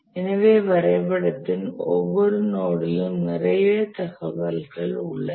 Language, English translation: Tamil, So, there is lot of information on every node of the diagram